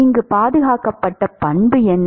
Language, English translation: Tamil, What is the conserved property here